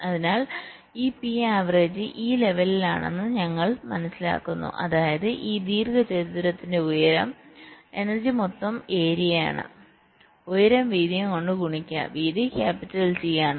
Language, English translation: Malayalam, that means the height of this rectangle, and energy is the total area, height multiplied by the width, and width is capital t